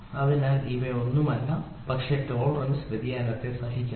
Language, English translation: Malayalam, So, that is nothing, but tolerance I tolerate the variation